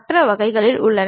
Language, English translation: Tamil, There are other varieties also